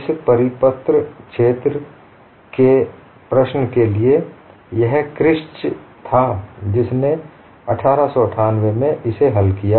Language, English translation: Hindi, For this problem of a circular hole, it was kirsch in 1898, who solved it, and this is known as a Kirsch's problem